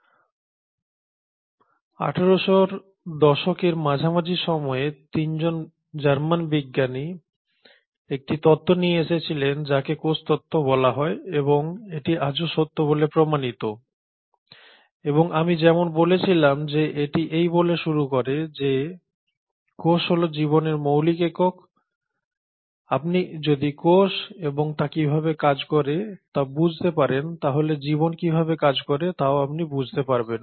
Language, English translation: Bengali, Now, way back in mid 1800s, 3 German scientists came up with a theory which is called as the cell theory and this holds true even today and as I said it starts by stating that cells are the fundamental unit of life, if you understand cells and how cells function you can kind of understand how life can function